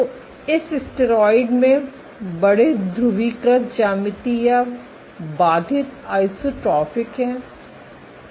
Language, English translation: Hindi, So, this steroid has large polarized geometry or constrained isotropic